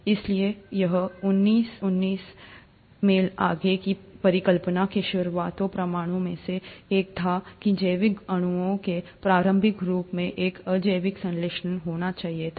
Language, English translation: Hindi, So this was one of the earliest proofs to the hypothesis which was put forth in nineteen twenty nine, that the early forms of biological molecules must have had an abiotic synthesis